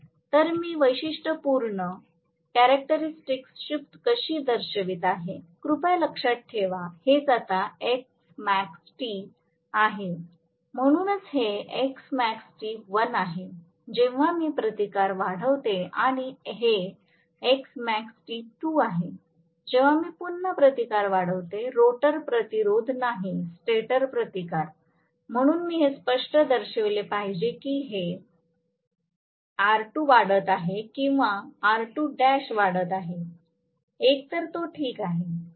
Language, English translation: Marathi, So, I am just showing how exactly the characteristic shift, please, remember this is what is S max T now, so this is S max T1, when I increase the resistance further and this is S max T2, when I again increase the resistance further, rotor resistance not the stator resistance, so I should very clearly indicate this is R2 increasing or R2 dash increasing, either way it is fine